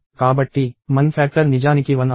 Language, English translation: Telugu, So, the common factor is indeed 1